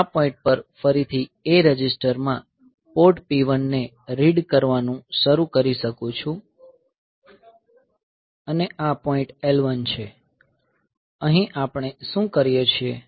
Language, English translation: Gujarati, So, it is I can start from this point I can start from this point again reading Port P 1 of into A register, and this is the point L 1 and in L 1, what we do